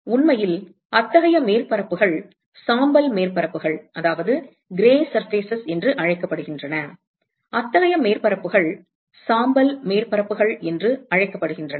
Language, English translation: Tamil, And in fact, such surfaces are called as gray surfaces; such surfaces are called as gray surfaces